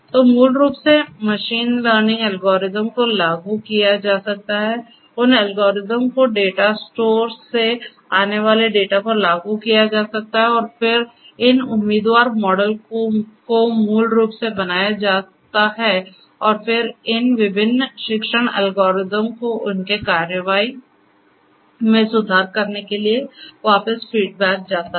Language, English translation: Hindi, So, basically machine learning algorithms could be implemented those algorithms could be applied and applied on the data that comes from the data store and then these candidate models are basically built and then are fed back to these different learning algorithms to you know to improve upon their course of action